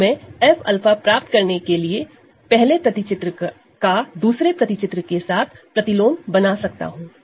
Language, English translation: Hindi, So, I can compose the inverse of the first map with the second map to get we get F alpha